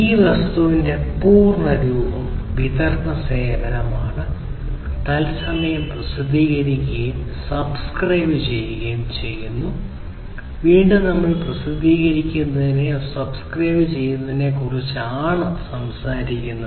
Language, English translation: Malayalam, So, the full form of this thing is Distributed Data Service Real Time Publish and Subscribe; again we are talking about publish/subscribe